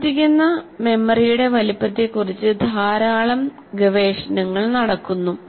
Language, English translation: Malayalam, There is a lot of research done what is the size of the working memory